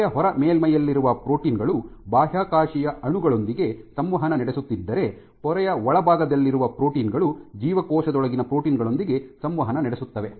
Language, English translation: Kannada, So, proteins which are in the outer leaflet of the membrane would presumably be interacting with extracellular molecules, while proteins in the inner leaflet of the membrane would interact with proteins within the cell